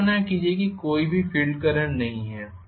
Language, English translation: Hindi, Imagine that there is no field current at all